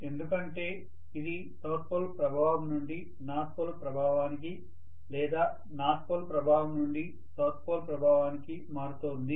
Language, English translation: Telugu, Because it is drifting from South Pole influence to North Pole influence and North Pole influence to South Pole influence